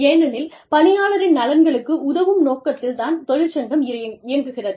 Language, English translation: Tamil, Since, the primary purpose of having a union, is to protect, the interests of the employees